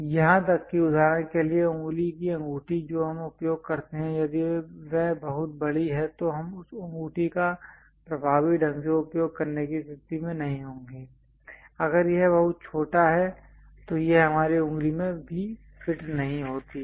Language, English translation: Hindi, Even for example, the finger rings what we use if it is too large we will not be in a position to effectively use that ring, if it is too small it does not fit into our finger also